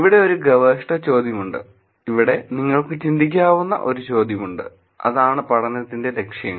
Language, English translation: Malayalam, Here is one research question; here is one question that you can think about objectives of the study